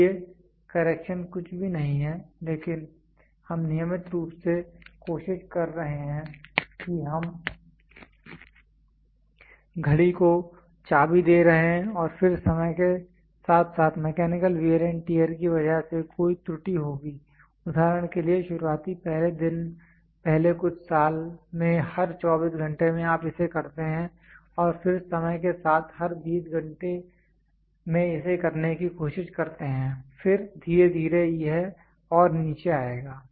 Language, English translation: Hindi, So, corrections are nothing, but we are regularly trying to we are giving key to the watch and then over a period of time because of the mechanical wear and tear there will be an error for example, initial first day first few years it will be a every 24 hours you do and over a period of time you try to do it for every 20 hours then slowly it will come down